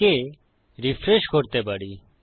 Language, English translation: Bengali, And we can refresh that